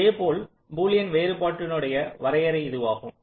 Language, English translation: Tamil, ok, this is the definition of boolean difference